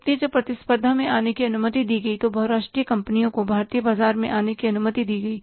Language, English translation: Hindi, So, competition when it was allowed to come up, MNCs were allowed to come up in the Indian market